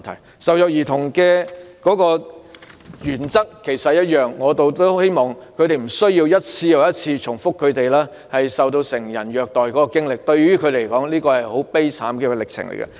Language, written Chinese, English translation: Cantonese, 處理受虐兒童個案的原則亦一樣，希望他們無需一次又一次重複述說受到成人虐待的經歷，這對他們來說是一個很悲慘的過程。, The same principle should also be applied to the handling of child abuse cases with a view to sparing victims the need to repeatedly recount the details of how they were abused by adults because it is most pathetic for them to undergo such a process